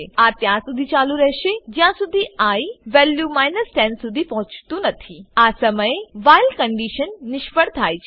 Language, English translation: Gujarati, This goes on till i reaches the value 10, At this point the while condition fails